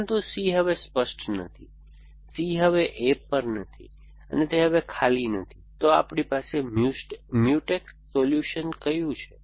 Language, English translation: Gujarati, But, that C is no longer clear C is no longer on A and arm is no longer empty, so when do we have Mutex solutions